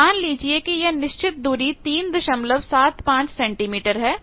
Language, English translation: Hindi, So, let us say that fixed distance is 3